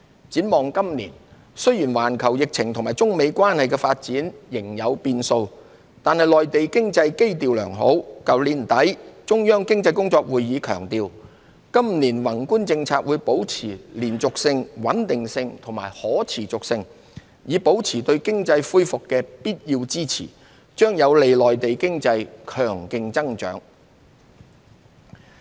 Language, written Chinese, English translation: Cantonese, 展望今年，雖然環球疫情和中美關係的發展仍有變數，但內地經濟基調良好，去年年底的中央經濟工作會議強調今年宏觀政策會保持連續性、穩定性和可持續性，以保持對經濟恢復的必要支持，將有利內地經濟強勁增長。, Looking ahead though there are still uncertainties arising from the global epidemic situation and the China - United States relations the Mainland economy is fundamentally sound . The Central Economic Work Conference held at the end of last year emphasized that the continuity stability and sustainability of the macro policies would be maintained to provide the necessary support for economic recovery on an ongoing basis . All these would be conducive to robust economic growth in the Mainland